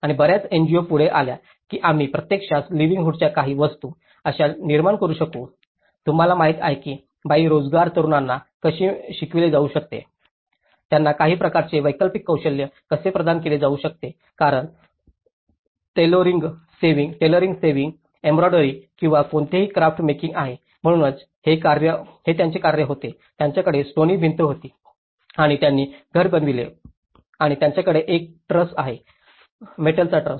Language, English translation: Marathi, And many NGOs came forward how we can actually generate some alternative livelihood items, you know like the woman how they can be educated the unemployed youth, how they could be provided with some kind of alternative skills because like tailoring, sewing, embroidery or any craft making, so this is one of the so what they did was they had a stone wall and they made a vault and they have a truss, the metal truss